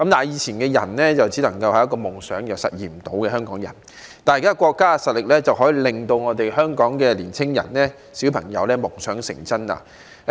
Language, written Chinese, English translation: Cantonese, 以前只能是一個夢想，因為香港人實現不到，但現在國家的實力可以讓香港的年青人、小朋友夢想成真。, In the past a dream like that would remain a dream as there was no way for Hong Kong people to realize it . However our country is now strong enough to make the dream of Hong Kongs youth and children come true